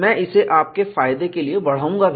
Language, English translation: Hindi, I will also increase this for your benefit